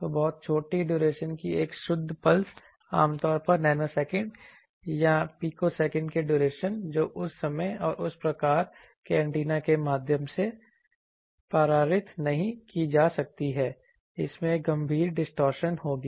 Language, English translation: Hindi, So a pure pulse of very short duration typically of nanosecond or picosecond duration on time that cannot be passed through and that type of antenna it will have severe distortion